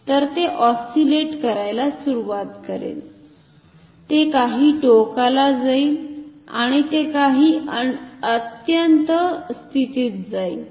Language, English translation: Marathi, So, it will start to oscillate it will go to some extreme it will go to some extreme position and then it will oscillate ok